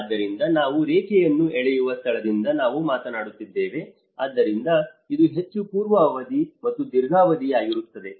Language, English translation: Kannada, So, we are talking from that is where we draw a line, so this is more of pre and then during and then a long term